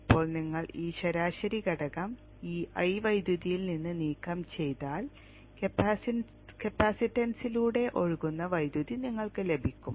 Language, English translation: Malayalam, Now if remove this average component from this i current you will get the current that flows through the capacitance